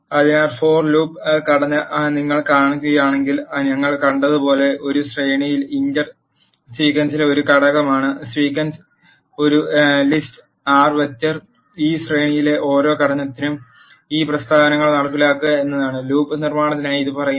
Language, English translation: Malayalam, So, if you see the structure of this for loop, iter in a sequence as we seen iter is an element in the sequence the sequence is a list R vector; for every element in this sequence execute this statements is what this for loop construct is saying